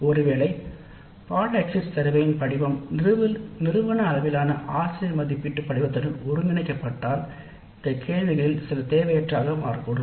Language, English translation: Tamil, Now it is possible that if the course exit survey form is getting integrated into an institute wide faculty evaluation form, some of these questions may become redundant